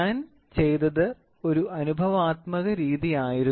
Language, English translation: Malayalam, So, what I did was this an empirical method